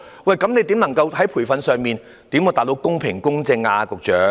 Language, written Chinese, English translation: Cantonese, 局長，你如何透過培訓，確保選舉公平和公正呢？, Secretary how would you through training ensure that an election is conducted in a fair and just manner?